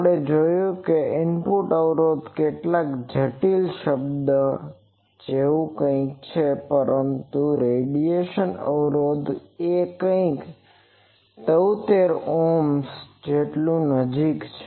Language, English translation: Gujarati, We have seen the input impedance is something like some complex term, but the radiation resistance is something like 73 Ohms so near about that etc